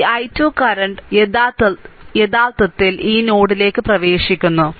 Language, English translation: Malayalam, This i 2 current actually is your what to call entering into this node